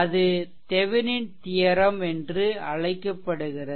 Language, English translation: Tamil, So, this is your what you call that Thevenin’s theorem